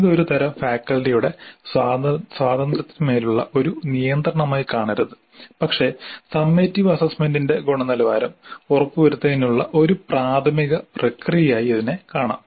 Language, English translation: Malayalam, So, it should not be seen as a kind of a straight jacket or as a kind of a restriction on the freedom of the faculty but it should be seen as a process initiative to ensure quality of the summative assessment